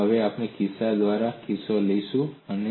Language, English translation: Gujarati, And now we will take case by case